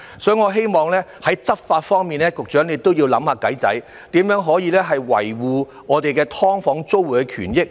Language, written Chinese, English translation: Cantonese, 所以，我希望局長在執法方面都要想方法，看看如何可以維護"劏房"租戶的權益。, Thus I hope the Secretary will also figure out some ways in respect of law enforcement to see how the rights of SDU tenants can be upheld